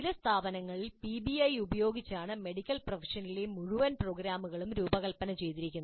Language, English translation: Malayalam, Entire programs in medical profession have been designed using PBI in some institutes